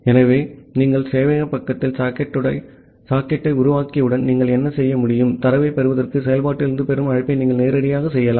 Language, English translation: Tamil, So, what you can do once you have created the socket at the server side, you can directly make the call to the receive from function to receive the data